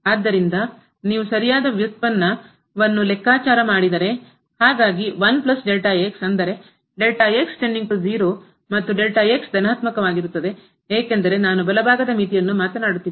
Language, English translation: Kannada, So, if you compute the right derivative so, 1 plus 0; that means, the goes to 0 and is positive because the right limit I am talking about